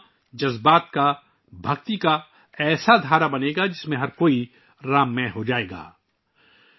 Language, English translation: Urdu, This compilation will turn into a flow of emotions and devotion in which everyone will be immersively imbued with the ethos of Ram